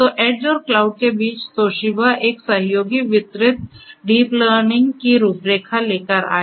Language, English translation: Hindi, So, between the edge and the cloud, this Toshiba came up with a collaborative distributed deep learning framework